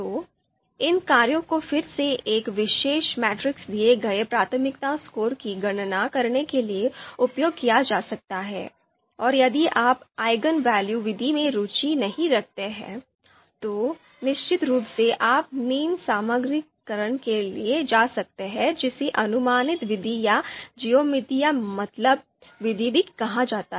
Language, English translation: Hindi, So these functions again can be used to you know compute the priority scores given a particular matrix, and then if you if you are not interested in Eigenvalue method, then of course you can go for Mean Normalization which is also called approximate method or for GeometricMean